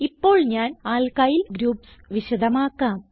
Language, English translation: Malayalam, Now I will explain about Alkyl groups